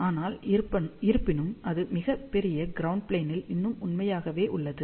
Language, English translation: Tamil, But, however that is still true for very very large ground plane